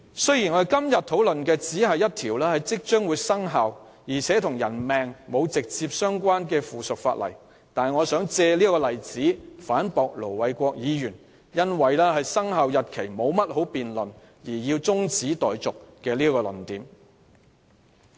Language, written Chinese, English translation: Cantonese, 雖然今天討論的只是一項即將生效、且與人命沒有直接關係的附屬法例，我想借這個例子反駁盧偉國議員以"沒有必要就生效日期多作辯論"而動議中止待續這個論點。, Although what we are discussing about today is just a subsidiary legislation which will soon come into effect and is not related to peoples life I just want to use this example to refute Ir Dr LO Wai - kwoks argument for moving the adjournment motion there is no need to further debate on the commencement date